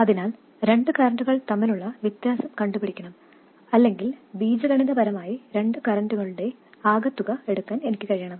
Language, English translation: Malayalam, So essentially I need to be able to take the difference between two currents or algebraically sum of two currents